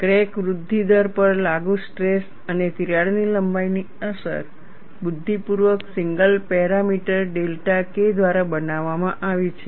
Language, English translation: Gujarati, The effect of applied stress and crack length on crack growth rate is intelligently modeled by a single parameter delta K